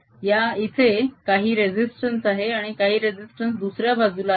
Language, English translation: Marathi, there was some resistance on this side and some other resistance on the other side